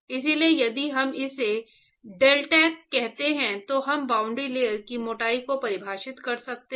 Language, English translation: Hindi, So, we can define boundary layer thickness if I call it as deltac